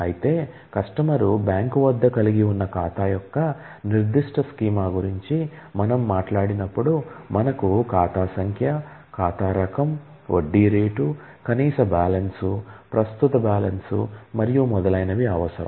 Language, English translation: Telugu, Whereas, when we talk about a specific schema of account that the customer holds with a bank, then we need the account number, account type, interest rate, minimum balance, the current balance and so on